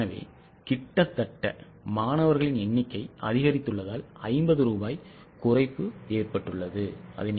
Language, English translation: Tamil, So, almost 50 rupees reduction has happened because number of students have gone up